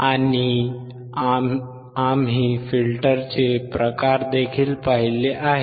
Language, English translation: Marathi, And we have also seen the type of filters